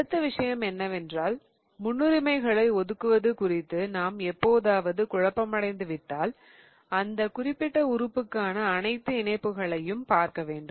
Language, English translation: Tamil, The other thing is if you are ever confused about assigning priorities, go ahead and look at all the attachments to that particular element